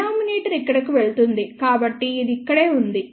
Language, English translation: Telugu, The denominator goes over here, so, which is right over here